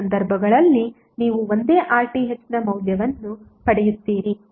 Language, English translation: Kannada, In both of the cases you will get the same value of RTh